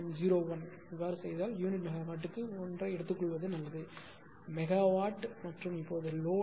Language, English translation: Tamil, 01 per ah unit megawatt, it was there ah better you take 1 per unit megawatt it 1 per unit megawatt and now till load has decreased to 0